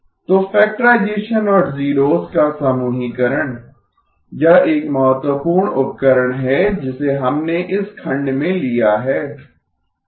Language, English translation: Hindi, So factorization and grouping of zeroes, that is an important tool that we have leveraged in this section